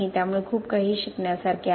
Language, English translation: Marathi, So there is a lot to be learnt from the